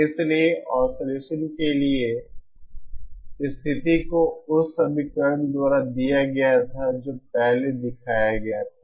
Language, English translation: Hindi, so the way to so the condition for oscillation was given by that equation which was shown previously